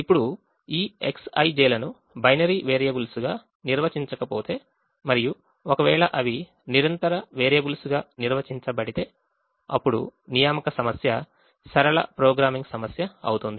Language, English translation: Telugu, now if these x i j's are not defined as binary variables and if they are defined as continuous variables, then the assignment problem is a linear programming problem